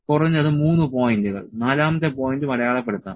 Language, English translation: Malayalam, 3 points for the minimum fourth point can also be marked